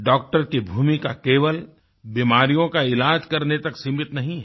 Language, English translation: Hindi, The role of a doctor is not limited to mere treatment of ailments